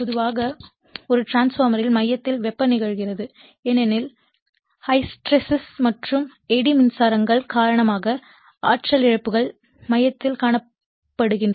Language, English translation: Tamil, Now, generally what happened in a transformer that heating of the core happens because of your what you call that energy losses due to your hysteresis and eddy currents right shows in the core